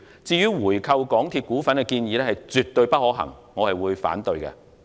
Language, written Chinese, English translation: Cantonese, 至於回購港鐵公司股份的建議絕不可行，我會表決反對。, As for the suggestion of buying back the shares of MTRCL it is definitely infeasible and I will vote against it